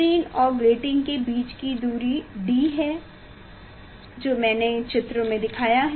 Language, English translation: Hindi, Distance between the screen and the grating that capital D whatever I showed in figure